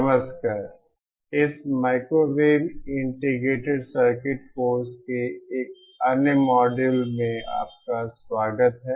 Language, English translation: Hindi, Hello, welcome to another model of this course microwave integrated circuits